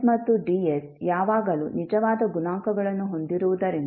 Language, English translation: Kannada, If as Ns and Ds always have real coefficients